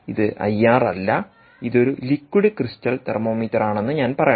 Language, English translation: Malayalam, i am sorry, this is a liquid crystal thermometer